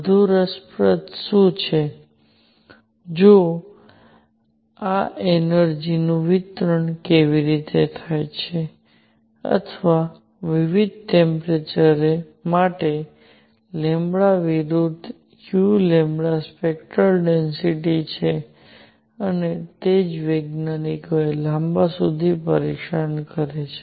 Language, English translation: Gujarati, What is more interesting; however, is how is this energy distributed or the spectral density u lambda versus lambda for different temperatures and that is what bothered scientists for a long time